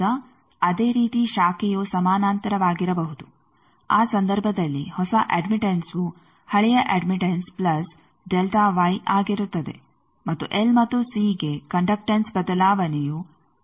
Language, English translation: Kannada, Now, similarly the branch may be in parallel in that case the new admittance will be the old admittance plus delta Y and for L and c the conductance change will be 0